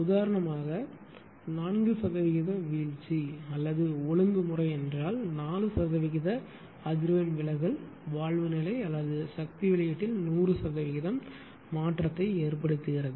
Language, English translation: Tamil, For example a 4 percent droop or regulation means that a 4 percent frequency deviation causes 100 percent change in valve position or power output right